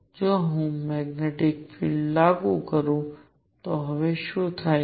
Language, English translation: Gujarati, What happens now if I apply a magnetic field